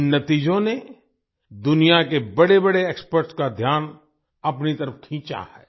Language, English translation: Hindi, These results have attracted the attention of the world's biggest experts